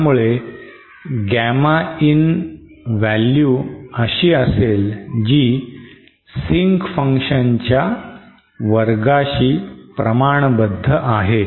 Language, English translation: Marathi, So we see that Gamma In for this exponential taper is proportional to the sync function